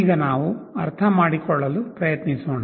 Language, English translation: Kannada, Now, let us try to understand